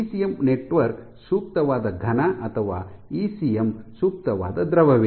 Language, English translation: Kannada, Is an ECM network an ideal solid or is ECM return an ideal fluid